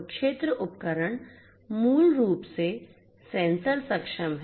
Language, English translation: Hindi, So, this field devices are basically sensor enabled so, sensor enabled